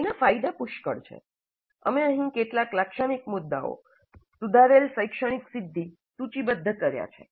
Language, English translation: Gujarati, And the advantage are plenty, only some typical ones we are listing here, improved academic achievement